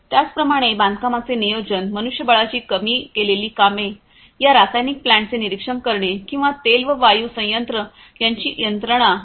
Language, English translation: Marathi, Similarly, construction planning, reduced manpower requirement, monitoring these chemical plants or the oil and gas plants their machinery etc